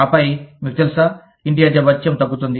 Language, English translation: Telugu, And then, you know, the house rent allowance will go down